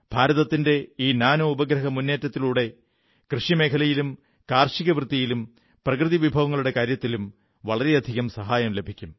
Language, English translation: Malayalam, And with India's Nano Satellite Mission, we will get a lot of help in the field of agriculture, farming, and dealing with natural disasters